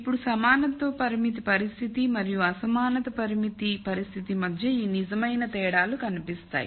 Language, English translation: Telugu, Now this real di erences between the equality constraint condition and the inequality constrained situation shows up